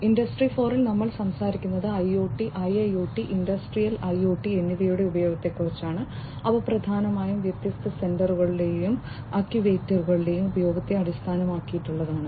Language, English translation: Malayalam, 0, we are talking about use of IoT, use of IIoT, Industrial IoT which essentially are heavily based on the use of different sensors and actuators